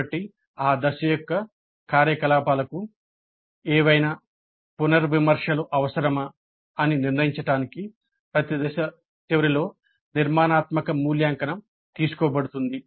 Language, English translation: Telugu, So, the formative evaluation is taken up at the end of every phase to decide whether any revisions are necessary to the activities of that phase